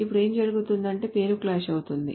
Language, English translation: Telugu, Now what may happen is that the name clash